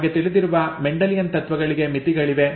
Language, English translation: Kannada, The Mendelian principles as we know have limitations